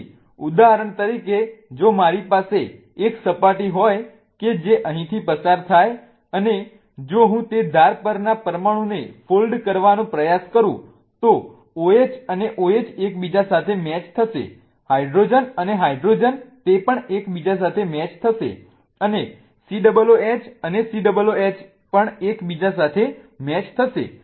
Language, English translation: Gujarati, So, for example, if I have a plane that goes through here and if I try to kind of fold the molecule on that edge, then the OH and OH will match with each other, the hydrogen and hydrogen will match with each other and the COH and COH will match with each other